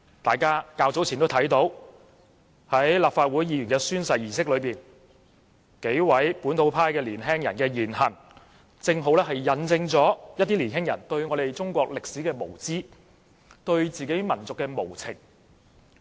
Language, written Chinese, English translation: Cantonese, 大家較早前也看到，立法會議員進行宣誓時，數名本土派青年人的言行，這正好引證一些青年人對中國歷史的無知，對自己民族的無情。, As we saw earlier during the oath - taking of Legislative Council Members the words and deeds of several young Members from the localist camp precisely demonstrated some young peoples ignorance of Chinese history and their apathy towards their own nation